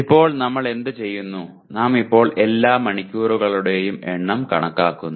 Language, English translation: Malayalam, Now what we do, we now count all the number of hours